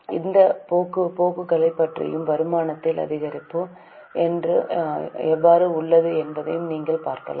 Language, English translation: Tamil, You can also have a look at the trends, how there is an increase in income